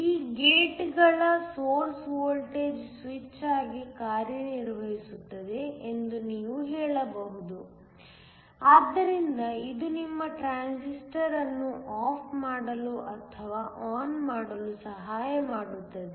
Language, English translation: Kannada, You can also say that these gates were source voltage acts as a switch; so, it helps to turn off or turn on your transistor